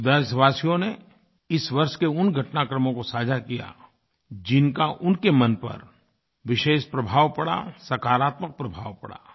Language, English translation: Hindi, Some countrymen shared those incidents of this year which left a special impact on their minds, a very positive one at that